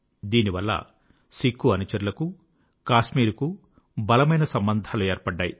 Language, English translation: Telugu, This forged a strong bond between Sikh followers and Kashmir